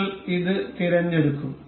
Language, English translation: Malayalam, We will select this